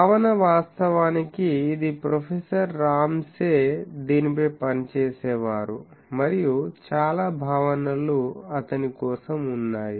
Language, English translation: Telugu, The concept was, actually this was professor Ramsay used to work on this and most of the concepts are for him